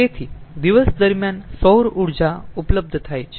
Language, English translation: Gujarati, so during day time solar energy is available